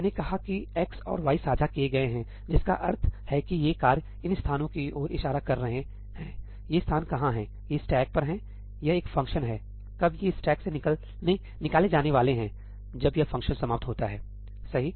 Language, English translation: Hindi, I have said that x and y are shared, which means that these tasks are pointing to these locations; where are these locations these are on the stack; this is a function; when are these going to get removed from the stack when this function ends